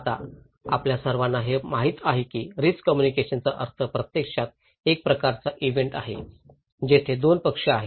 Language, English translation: Marathi, Now, we all know that the meaning of risk communication is actually a kind of event, where there are two parties